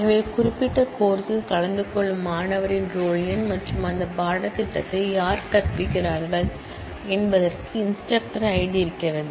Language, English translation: Tamil, So, roll number of the student attending the particular course number and it also has an instructor I D as to who is teaching that course given this